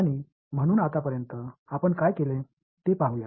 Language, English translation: Marathi, So, let us just have a look at what we have done so far